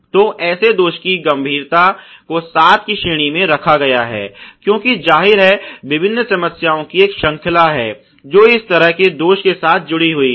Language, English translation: Hindi, So, the severity of such defect has been rated as seven, because obviously there is a chain of different problems, which is associated with such a defect